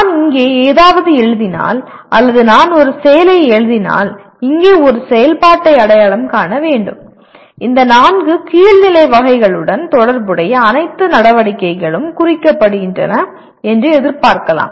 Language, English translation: Tamil, If I write something here or if I write an activity, identify an activity here; then it can be expected all the activities related to these four lower level categories are implied